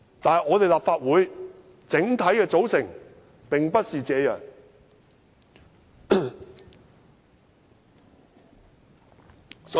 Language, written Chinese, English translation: Cantonese, 但是，立法會整體的組成並不是這樣。, However the overall composition of the Legislative Council does not follow this approach